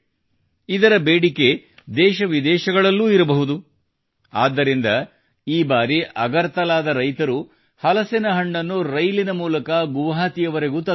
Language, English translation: Kannada, Anticipating their demand in the country and abroad, this time the jackfruit of farmers of Agartala was brought to Guwahati by rail